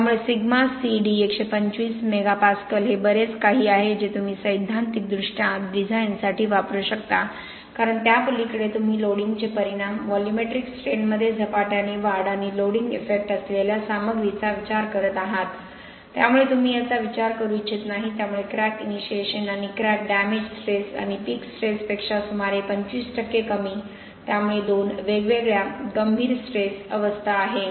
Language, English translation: Marathi, So sigma C, D 125 Megapascal is pretty much what you can theoretically use for design because beyond that what you are seeing are the effects of loading okay rapid increase in volumetric strains and stuff which is loading effect, so you do not want to consider that, so crack initiation and crack damage stress and about 25% lower than peak stress, so two different critical stress states